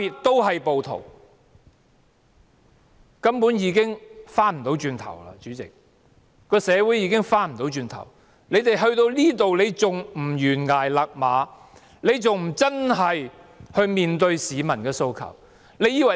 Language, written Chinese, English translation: Cantonese, 主席，現在根本已無法回頭，社會已無法回頭，但政府現在還不懸崖勒馬，不面對市民的訴求。, President there is simply no turning back now and our society has passed the point of no return . But even now the Government still refuses to call a halt to its action before it is too late and address peoples aspirations